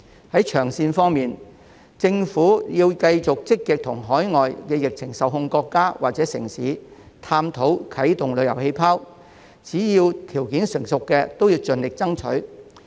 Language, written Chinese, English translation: Cantonese, 在長線方面，政府要繼續積極與海外的疫情受控國家或城市探討啟動旅遊氣泡，只要條件成熟的便應盡力爭取。, As regards long - term measures the Government has to keep on proactively exploring the launching of travel bubbles with overseas countries or cities where the pandemic has been under control and exerts its best efforts when the conditions are ripe